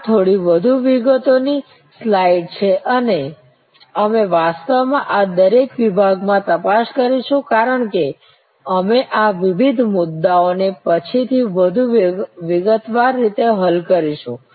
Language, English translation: Gujarati, This is a little more details slide and we will actually look into each one of these segments, that as we tackle these various issues more in detail later on